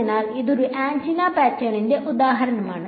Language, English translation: Malayalam, So, that is an example of an antenna pattern